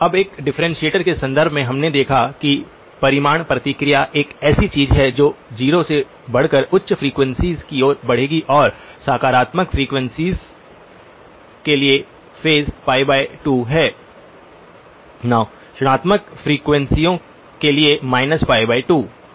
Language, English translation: Hindi, Now in the context of a differentiator, we saw that the magnitude response is something that will increase from 0 going out towards the higher frequencies and the phase is a plus pi by 2 for positive frequencies, minus pi by 2 for negative frequencies